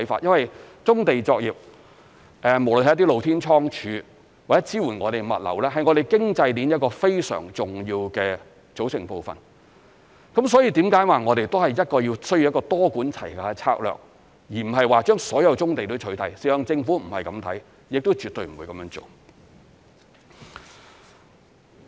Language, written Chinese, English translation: Cantonese, 因為棕地作業，無論是一些露天倉儲或支援物流，是我們經濟鏈一個非常重要的組成部分，所以這是為何我們說需要一個多管齊下的策略，而不是把所有棕地都取締，事實上政府不是這樣看，亦絕對不會這樣做。, Brownfield operations be they open storage or logistical support facilities constitute an integral part of our economic chain . We have therefore called for a multi - pronged strategy rather than eliminating all brownfield sites . In fact the Government has no intention to get rid of all brownfield sites and will absolutely not do so